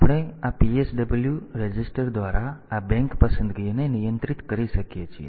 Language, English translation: Gujarati, We can control this bank selection by this PSW register